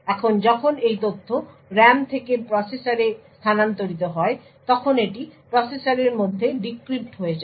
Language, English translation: Bengali, Now when this data is moved from the RAM to the processor it gets decrypted within the processor